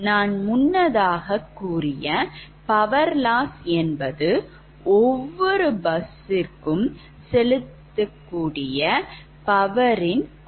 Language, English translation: Tamil, so earlier i have told you that power loss is basically, it is sum of the ah power injected at every bus bar